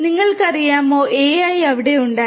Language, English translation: Malayalam, You know, AI has been there